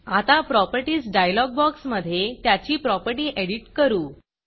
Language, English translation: Marathi, Now lets edit its properties in the Properties dialog box